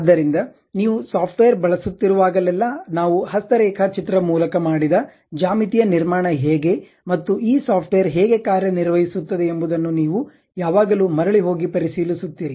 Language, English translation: Kannada, So, whenever you are using a software, you always go back check how a geometrical construction by hand drawing we have done, and how this software really works